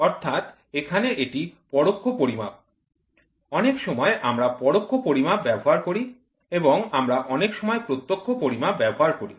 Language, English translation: Bengali, So, here it is indirect measurement; many a times we use indirect measurements and we many a times we use direct measurements